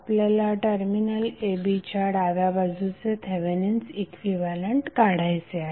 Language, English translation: Marathi, We need to find out Thevenin equivalent to the left of terminal a b